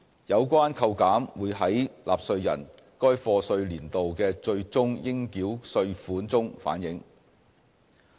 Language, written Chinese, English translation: Cantonese, 有關扣減會在納稅人該課稅年度的最終應繳稅款中反映。, The reduction will be reflected in taxpayers final tax payable for the year of assessment 2016 - 2017